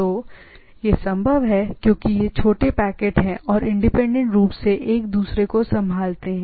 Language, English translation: Hindi, So, that is possible because this these are small packets and are handled independently and each other